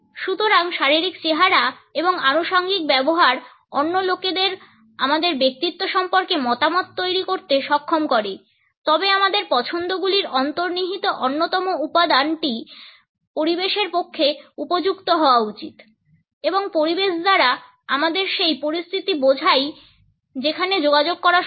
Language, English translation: Bengali, So, about physical appearance and the use of accessories enables other people to form opinions about our personality, however the underlying factor in our choices should be appropriateness within an environment and by environment we mean the situation and the place where the communication takes place